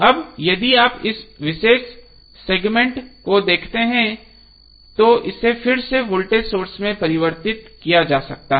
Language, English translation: Hindi, Now if you see this particular segment this can be again converted into the voltage source